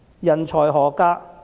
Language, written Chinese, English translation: Cantonese, 人才何價？, Are these talents worthwhile?